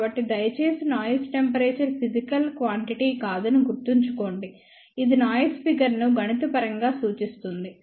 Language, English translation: Telugu, So, please remember noise temperature is not a physical quantity, it is just a mathematical way of representation of noise figure